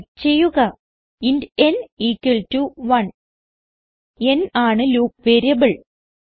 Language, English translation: Malayalam, Type int n equalto 1 n is going to be loop variable